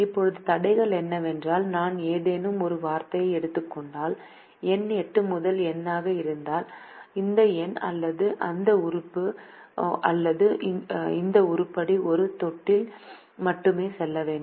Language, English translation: Tamil, now the constraints are: if i take any one of the words, for example the, the, the number eight as the first number, then this number or this element or this item should go to only one of the bins